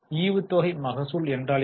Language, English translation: Tamil, Now what do you mean by dividend yield